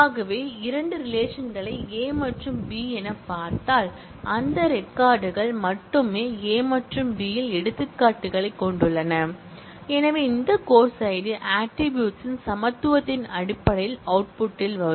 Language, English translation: Tamil, So, if we look at the two relations as A and B only those records, which are both have instance in A as well as B, in terms of equality of this course id attribute will come in the output